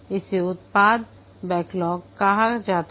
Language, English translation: Hindi, This is called as a product backlog